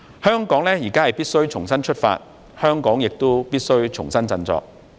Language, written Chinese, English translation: Cantonese, 香港現在必須重新出發，香港亦必須重新振作。, Now Hong Kong must start afresh . It must also revitalize its strengths